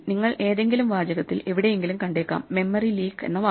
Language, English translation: Malayalam, So you might see somewhere in some text, the word memory leak